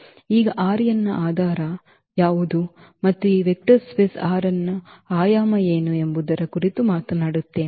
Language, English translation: Kannada, Now, we will talk about what are the basis of R n and what is the dimension of this vector space R n